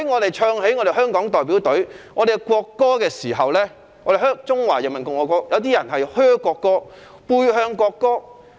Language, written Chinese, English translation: Cantonese, 當香港隊出賽，奏起中華人民共和國國歌時，有些人"噓"國歌或背向球場。, When the Hong Kong team plays a match and the national anthem of the Peoples Republic of China is played some people would boo the national anthem or turn their back on the football pitch